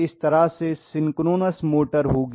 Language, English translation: Hindi, This is how the synchronous motor will be